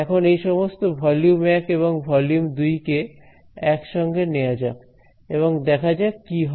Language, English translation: Bengali, So, now, let us put all of these volume 1 and volume 2 together and see what happens